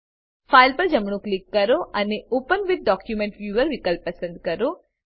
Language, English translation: Gujarati, Right click on the file and choose the option Open with Document Viewer